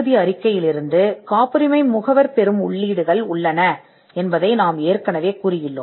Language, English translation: Tamil, We have already covered that there are inputs that a patent agent would get from the patentability report which could be used